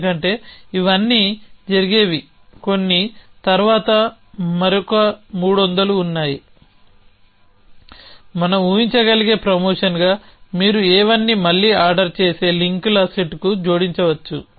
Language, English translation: Telugu, Because they all this happens some were later another third is as we can a imagine promotion which is you add A 1 to happen before A again to the set of ordering links